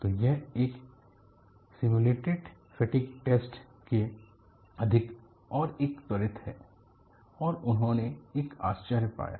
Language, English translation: Hindi, So, it is more like a simulated fatigue test and an accelerated one, and they found a real surprise